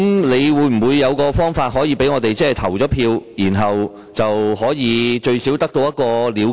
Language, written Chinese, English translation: Cantonese, 你會否有方法讓我們可以有機會投票，這樣最少有個了決？, Is there any way that we can vote on the motion? . Then at least a conclusion can be drawn